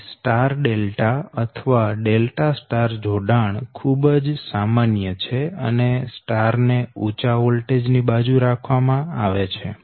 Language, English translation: Gujarati, so that means star delta or delta star star side should be always on the high voltage side